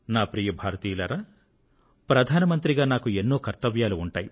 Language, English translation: Telugu, My dear countrymen, as Prime Minister, there are numerous tasks to be handled